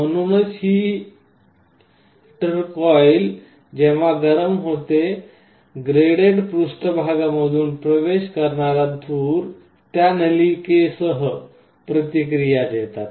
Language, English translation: Marathi, So, when it heats up the smoke that enters through this graded surface, will react with those tubes